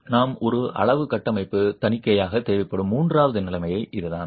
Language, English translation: Tamil, So that's the third situation in which you're going to require a quantitative structural audit